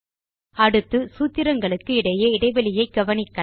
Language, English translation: Tamil, Next, let us make changes to the spacing of the formulae